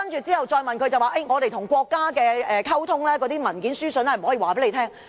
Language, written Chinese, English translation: Cantonese, 之後再問他，他說政府與國家溝通的文件書信不能公開。, But when we asked him again he said that the documents and correspondence between the Government and the State authorities could not be made public